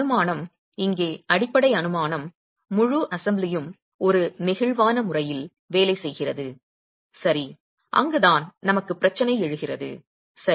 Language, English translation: Tamil, Assumption, the fundamental assumption here is the entire assembly is working in an elastic manner and that is where the problem arises for us